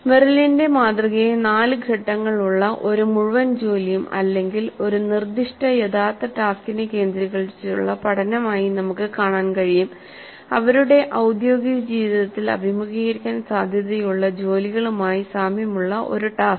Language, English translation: Malayalam, So we can look at the Merrill's model as a four phase cycle of learning centered around a whole task, a realistic task, a task whose nature is quite similar to the kind of tasks that the learners will face in their professional life